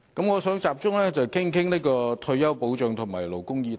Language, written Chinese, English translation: Cantonese, 我想集中談談退休保障及勞工議題。, I wish to focus my discussion on retirement protection and labour issues